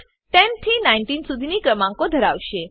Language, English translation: Gujarati, The output will consist of numbers 10 through 19